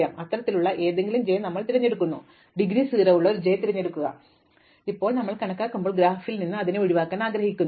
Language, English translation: Malayalam, So, we choose any such j, choose a j which has indegree 0 enumerate it, now when we enumerate we want to eliminate it from the graph